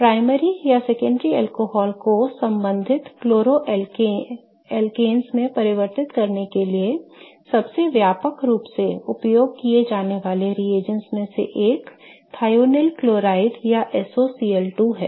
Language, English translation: Hindi, One of the most widely used reagents for conversion of primary or secondary alcohols to corresponding chloroalkanes is thionyl chloride, okay, or SOCL2